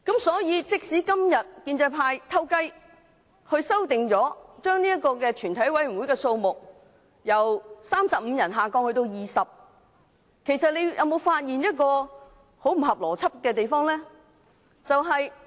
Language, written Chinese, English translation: Cantonese, 所以，如果今天建制派成功取巧，將全體委員會的法定人數由35人下調至20人，其實大家會否發現有很不合邏輯的地方？, Therefore can Members actually notice anything illogical with the lowering of the quorum for the committee of the whole Council from 35 Members to 20 Members in case the pro - establishment camps trickery is successful today?